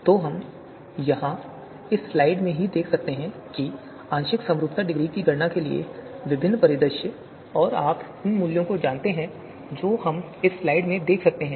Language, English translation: Hindi, So we we can see here in this slide itself, the different scenarios for computation of partial concordance degree and the you know values that could be there that we can see in this slide